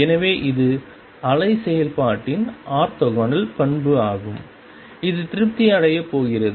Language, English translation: Tamil, So, this is the orthogonal property of wave function which is going to be satisfied